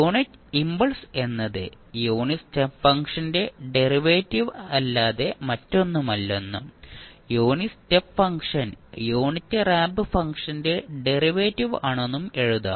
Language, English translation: Malayalam, You can simply write that the delta t is nothing but derivative of unit step function and the unit step function is derivative of unit ramp function